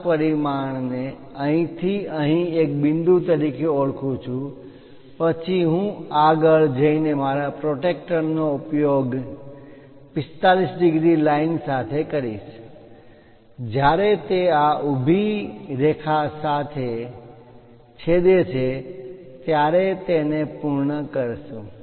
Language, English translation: Gujarati, 5 dimension from here to here as a point then, I go ahead using my protractor with 45 degrees line and stop it when it is these vertical line going to intersect